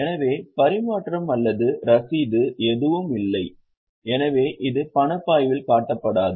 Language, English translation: Tamil, So, no cash payment or receipt is involved so it will not be shown in the cash flow